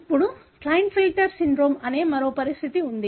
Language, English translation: Telugu, Now, there is another condition called Klinefelter syndrome